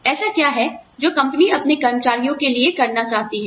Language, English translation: Hindi, What is it that, the company wants to do, for its employees